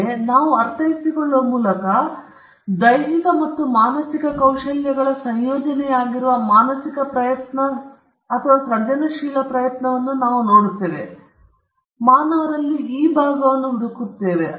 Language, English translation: Kannada, So, by intellectual we mean or we are looking at the mental effort or the creative effort which could be a combination of physical and mental skills; we are looking at that part which is special to human beings, if we need to put it that way